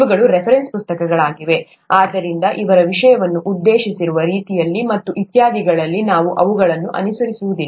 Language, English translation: Kannada, These are reference books, so we won't be following them in the way they have addressed the subject and so on so forth